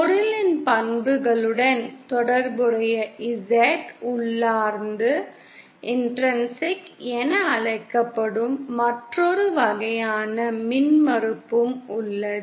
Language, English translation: Tamil, Then there is also another kind of impedance that is defined which is called Z intrinsic which is related to the properties of the material